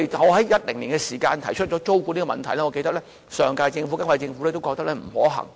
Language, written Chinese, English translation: Cantonese, 我在2010年提出租管的問題，我記得上屆和現屆政府都覺得不可行。, I can remember that when I raised the idea of rent control in 2010 the last - term Government dismissed it as impracticable and the current - term Government also once thought so